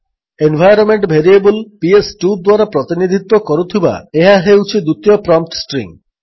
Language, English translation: Odia, This is the secondary prompt string represented by the environment variable PS2